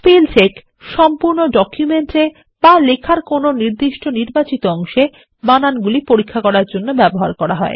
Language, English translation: Bengali, Spellcheck is used for checking the spelling mistakes in the entire document or the selected portion of text